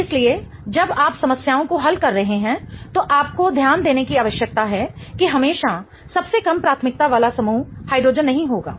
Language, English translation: Hindi, So, you need to pay attention while you are solving problems that not always the least priority group will be hydrogen